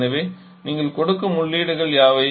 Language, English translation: Tamil, So, what are the inputs that you are giving